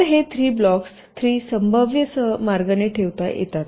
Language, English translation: Marathi, so these three blocks can be placed in three possible ways